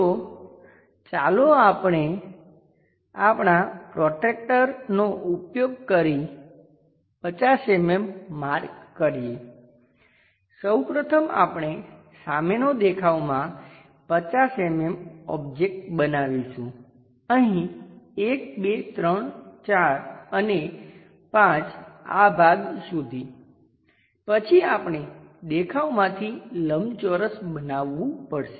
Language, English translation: Gujarati, So, let us use our protractor mark 50 mm, first of all we will construct the front view 50 mm object here 1 2 3 4 and 5 up to this part, then we have to construct a rectangle from the view